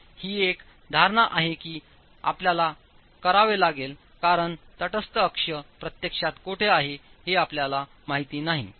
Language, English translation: Marathi, This is the assumption that you will have to make because you don't know where the neutral axis is actually lying